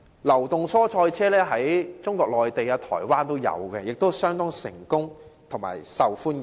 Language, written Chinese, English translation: Cantonese, 流動蔬菜車在中國內地和台灣也已有推行，而且相當成功及受歡迎。, Mobile vegetable trucks are already operating in Mainland China and Taiwan with considerable achievements and popularity